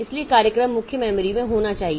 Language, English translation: Hindi, So, the program must be there in the main memory